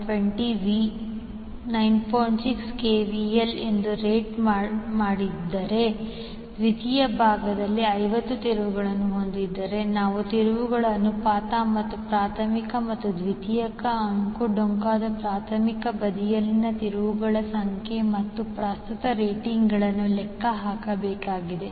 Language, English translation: Kannada, 6 kVA has 50 turns on the secondary side, we need to calculate the turns ratio and the number of turns on the primary side and current ratings for primary and secondary windings